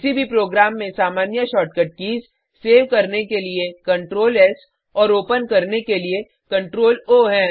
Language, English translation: Hindi, The common shortcut keys in any program are Ctrl+S for saving and Ctrl+O for opening